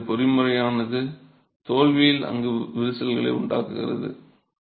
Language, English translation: Tamil, So, this mechanism is what causes the formation of cracks in the unit at failure